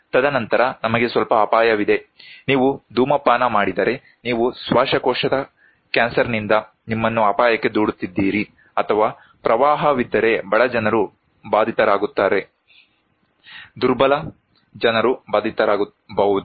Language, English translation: Kannada, And then we have some risk, like if you smoke, you are endangering yourself with a lung cancer, or if there is a flood, poor people is affected, vulnerable people would be affected